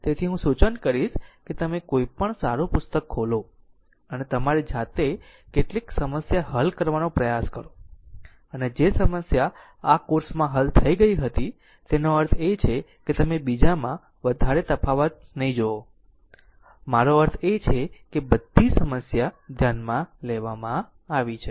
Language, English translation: Gujarati, So, I will suggest that you open any good book and try to solve some try to solve some problem of your own, and whatever problem had been solved for this course I mean you will not find much difference in others, I mean all varieties of problem have been considered right